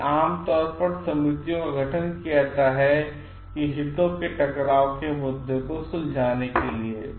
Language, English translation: Hindi, So, usually committees are formed, institutions to resolve this conflict of interest